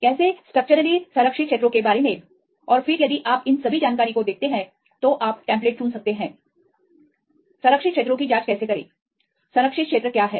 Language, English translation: Hindi, How about the structurally conserved regions and then if you see all these information then you can choose the template; how to check the conserved regions because these regions; what are conserved regions